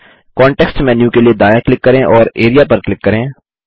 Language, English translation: Hindi, Right click for the context menu and click Area